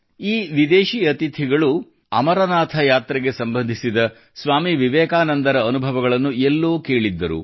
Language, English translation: Kannada, These foreign guests had heard somewhere about the experiences of Swami Vivekananda related to the Amarnath Yatra